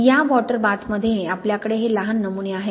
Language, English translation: Marathi, Then you have, in this water bath, you have these small samples